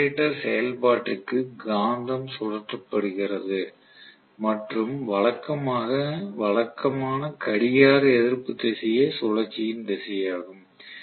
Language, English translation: Tamil, For generator operation if the magnet is being rotated and our conventional direction is anti clock wise direction of rotation